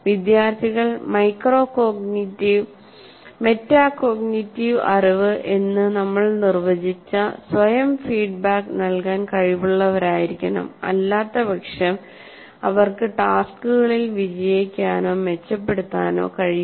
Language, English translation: Malayalam, Students need to be able to give themselves feedback, that is what we defined also as metacognitive knowledge while they are working, otherwise they will be unable to succeed with tasks or to improve